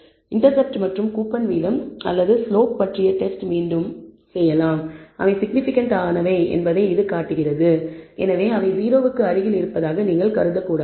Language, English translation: Tamil, The again the test on the intercept and the coupon rate or slope shows that that they are significant and therefore, you should not assume that they are close to 0